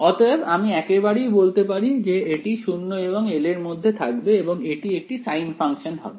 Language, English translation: Bengali, So, I can straight away say that this is going to fit within 0 to l it should be a sine function right